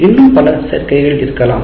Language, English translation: Tamil, Now, there may be many more combinations possible